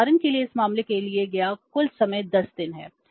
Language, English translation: Hindi, For example in this case the total time taken is 10 days